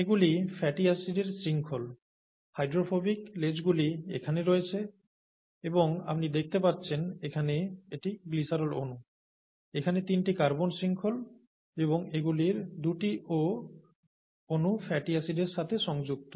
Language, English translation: Bengali, These are the fatty acid chains, the hydro, hydrophilic, hydrophobic, it should be hydrophobic here; hydrophobic tails that are here and this is the glycerol molecule as you can see here, the three carbon chain here and two of those O molecules are attached to the fatty acid